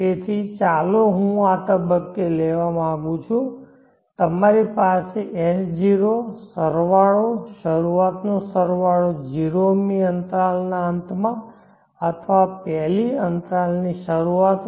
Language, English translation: Gujarati, So let me take this at this point, you have s0, the sum the staring sum at the end of the 0th interval or the beginning of the 1st interval